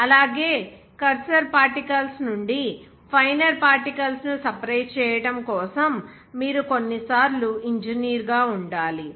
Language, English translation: Telugu, Also, you have to sometimes as an engineer; it is required to separate those finer particles from the cursor particles